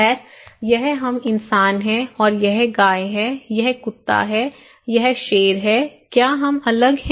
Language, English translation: Hindi, Well, this is we human being, right and this is a cow, this is dog, this is lion, are we different